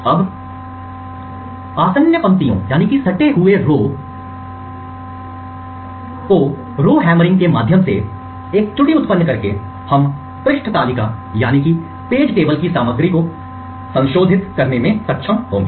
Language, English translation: Hindi, Now by inducing an error through the Rowhammering of the adjacent rows we would be able to modify the contents of the page table